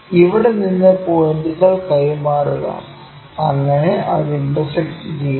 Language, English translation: Malayalam, From here transfer the points, so that it intersects